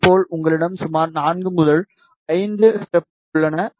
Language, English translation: Tamil, Similarly, you have roughly 4 or 5 steps